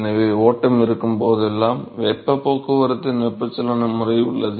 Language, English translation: Tamil, So, whenever there is flow you have convective mode of heat transport